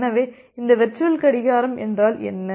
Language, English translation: Tamil, So, what is this virtual clock